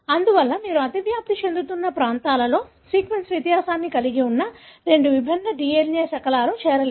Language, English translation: Telugu, Therefore you will not be able to join two different DNA fragments which have sequence difference in the overlapping regions